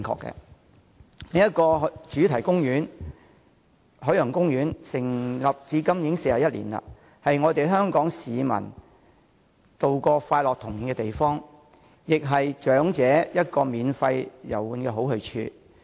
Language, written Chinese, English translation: Cantonese, 另一個主題公園——海洋公園——成立至今已41年，是不少香港市民度過快樂童年的地方，亦是長者免費遊玩的好去處。, Established for 41 years up to the present day Ocean Park another major theme park in Hong Kong is a place where many local citizens spent their happy childhood . Moreover it is also an ideal destination for the elderly to visit for free